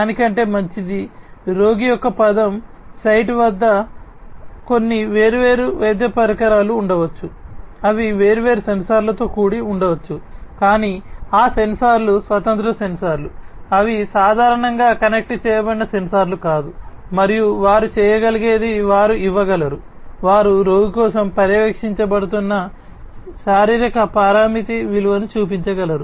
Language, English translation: Telugu, Better than that is, at the word site of the patient there might be some different medical devices which might be also equipped with different sensors, but those sensors are standalone sensors, they are typically not connected sensors and all they can do is they can give the they can show the value the physiological parameter value that is being monitored for the patient